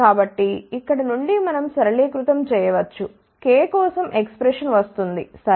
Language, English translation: Telugu, So, from here we can do simplification we will get the expression for k ok